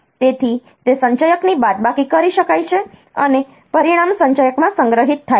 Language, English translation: Gujarati, So, it can be subtraction the accumulator and the result is stored in the accumulator